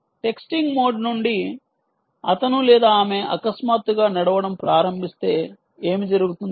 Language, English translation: Telugu, what happens if from texting mode he suddenly, he or she suddenly realizes to go into, starts walking